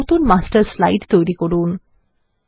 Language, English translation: Bengali, Create a new Master Slide